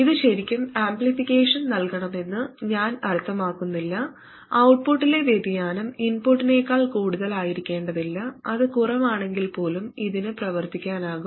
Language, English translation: Malayalam, I don't really mean that it has to provide amplification, that is the variation at the output doesn't have to be more than the input